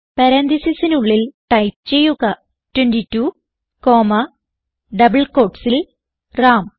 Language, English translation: Malayalam, So within parentheses type 22 comma in double quotes Ram